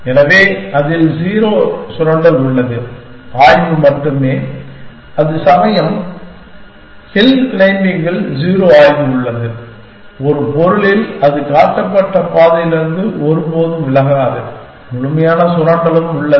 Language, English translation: Tamil, So, it is there is 0 exploitation in that, only exploration whereas here, in hill climbing there is 0 exploration, in a sense that it never waivers from the path that has been shown to it and there is complete exploitation